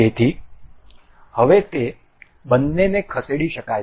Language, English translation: Gujarati, So, now both both of them can be moved